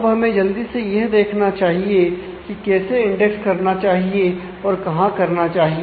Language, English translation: Hindi, Now, we will quickly take a look into why how should we index and where